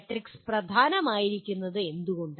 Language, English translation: Malayalam, And why is the matrix important